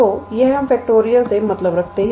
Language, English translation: Hindi, So, that is what we mean by factorial